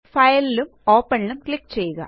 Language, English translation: Malayalam, Click on File and Open